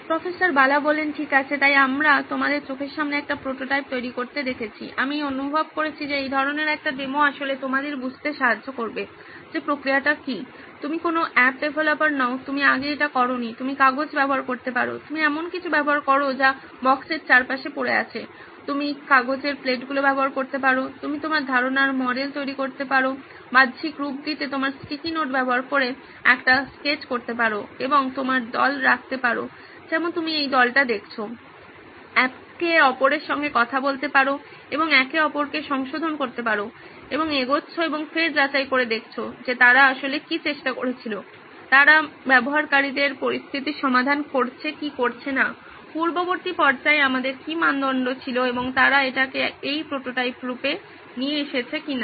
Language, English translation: Bengali, Okay so we saw the creation of a prototype right in front of your eyes, I felt that such a demo will actually help you understand what is the process involved, you are not a app developer, you have not done this before, you can use paper, you can use something that is lying around boxes, you can use paper plates, you can use just a sketch with sticky notes on it to model your concept, to externalize and you can have your team like you saw this team, interact with each other and correct each other and going and checking back what is it that they were originally attempting, they is it solving the users situation or not, what are the criteria that we had in the earlier phase and they brought it to this the form of a prototype